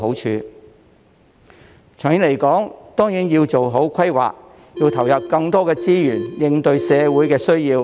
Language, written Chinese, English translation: Cantonese, 長遠而言，政府當然要做好規劃，投入更多資源應對社會的需要。, In the long term the Government should certainly make good planning and inject more resources to meet the needs of society